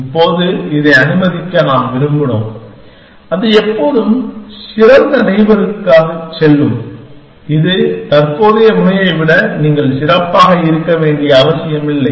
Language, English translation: Tamil, Now, supposing we wanted to allow this, that always go to the best neighbor, which the criteria that you it does not have to be better than the current node